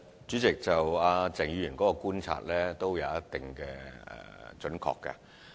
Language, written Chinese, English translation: Cantonese, 主席，鄭議員的觀察頗為準確。, President Mr CHENGs observations are quite accurate